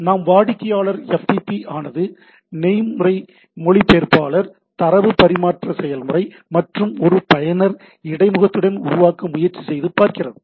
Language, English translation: Tamil, So, the same thing if we try to look at that the client FTP is build with a protocol interpreter, a data transfer process and a user interface